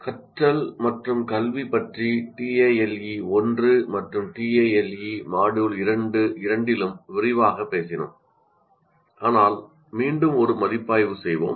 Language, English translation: Tamil, Now, we talked about learning and education extensively in both tail 1 and tail Module 2 as well, but once again let us review